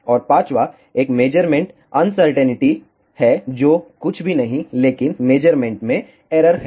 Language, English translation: Hindi, And, fifth one is measurement uncertainty which is nothing, but errors in the measurements